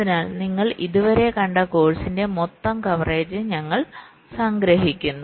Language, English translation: Malayalam, so we summarize the total coverage of the course that you have seen so far